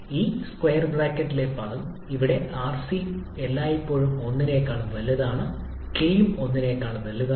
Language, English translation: Malayalam, You can see from the expression also, the term in this square bracket, here rc is always greater than 1, k is also greater than 1